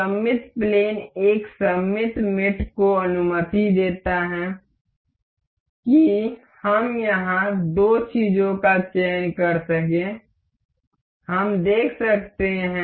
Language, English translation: Hindi, Symmetric plane allows a symmetric mate allows us to select two things over here, we can see